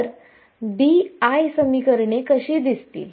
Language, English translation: Marathi, So, what will the BI equations look like